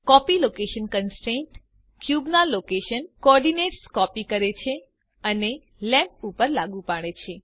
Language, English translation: Gujarati, The copy location constraint copies the location coordinates of the cube and applies it to the lamp